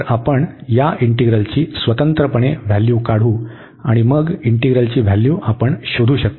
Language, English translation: Marathi, So, we will evaluate these integral separately and then we can find the value of the integral